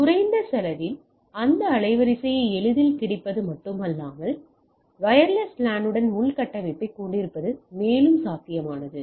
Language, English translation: Tamil, So, not only that with easy availability of this band width at a lower cost, it also makes it more feasible to have a infrastructure with wireless LAN right